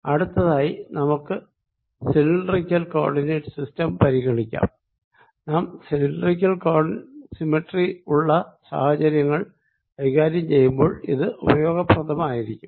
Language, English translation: Malayalam, next, let's consider cylindrical coordinate system, and this is useful when we are doing do dealing with ah situations with its cylindrical symmetry